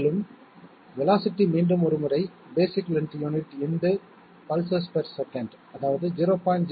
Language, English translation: Tamil, And the velocity once again equal to basic length unit into pulses per second equal to 0